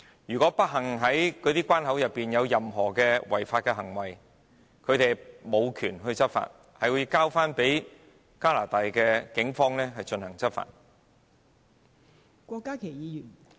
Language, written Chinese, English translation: Cantonese, 如果不幸在關口內發生違法行為，他們無權執法，而要交由加拿大警方執法......, If an unlawful act unfortunately takes place in the port as they do not have the authority to take enforcement action the Canadian police officers will do the job instead